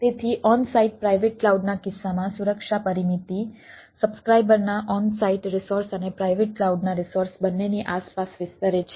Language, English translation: Gujarati, so in case of on site private cloud, the security perimeter extends around both the subscriber on site resources and private cloud resources